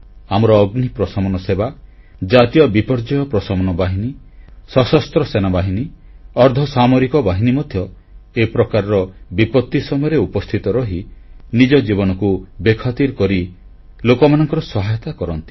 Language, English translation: Odia, Our Fire & Rescue services, National Disaster Response Forces Armed Forces, Paramilitary Forces… these brave hearts go beyond the call of duty to help people in distress, often risking their own lives